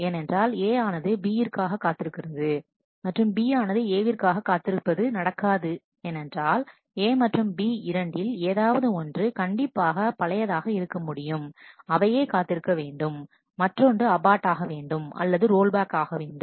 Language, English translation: Tamil, Because my A waiting on B, and B waiting on A, cannot happen because out of A and B one must be older has to be older, and that only will wait, the other one will abort, abort and roll back on